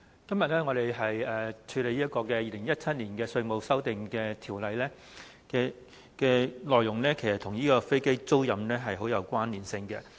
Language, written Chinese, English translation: Cantonese, 主席，我們今天審議《2017年稅務條例草案》，其實當中的內容與飛機租賃業務甚有關連。, President today we are examining the Inland Revenue Amendment No . 2 Bill 2017 the Bill which is closely related to aircraft leasing business